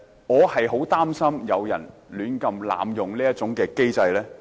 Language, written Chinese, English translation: Cantonese, 我十分擔心有人胡亂濫用這個機制。, I feel gravely concerned that someone may abuse such a mechanism